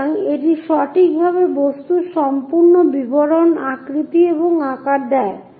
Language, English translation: Bengali, So, it accurately gives that complete object details and shape and size